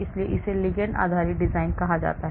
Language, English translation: Hindi, so this is called the ligand based design